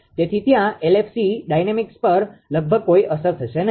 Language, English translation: Gujarati, So, there will be almost no effect on the LFC dynamics right